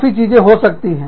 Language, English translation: Hindi, Various things can happen